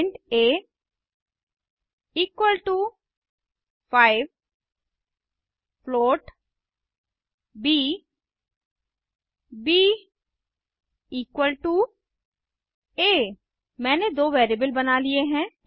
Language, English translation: Hindi, int a equal to 5 float b b equal to a I have created two variables